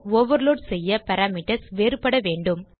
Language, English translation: Tamil, So remember that to overload method the parameters must differ